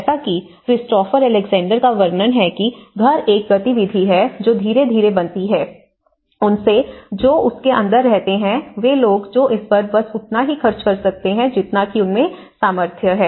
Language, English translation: Hindi, So, as Christopher Alexander describes a house is an activity which is ëcreated gradually, as a direct result of living which is happening in it and around ití by people who spend only what they can afford